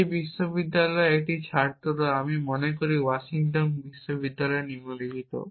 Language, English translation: Bengali, student from one of these universities, I think Washington university is the following